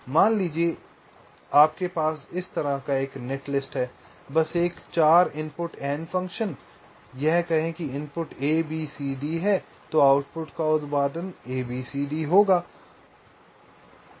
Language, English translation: Hindi, suppose you have a netlist like this, just a four input nand function, say, if the inputs are a, b, c and d, the output produces is a, b, c, d